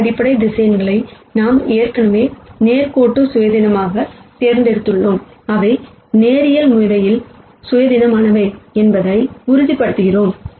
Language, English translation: Tamil, And the fact that we have chosen these basis vectors as linearly independent already, assures us that those are linearly independent